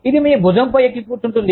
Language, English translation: Telugu, It sits here, on your shoulder